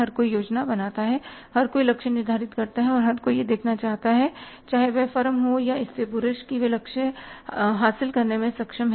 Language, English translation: Hindi, Everybody plans, everybody sets the targets and everybody want to see whether the firm he or she has been able to achieve the targets